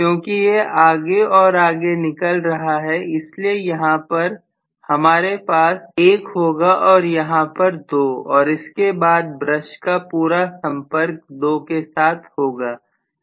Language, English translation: Hindi, This has moved further and further because of which I am going to have here is 1 here is 2 and I am going to have the entire brush making contact only with 2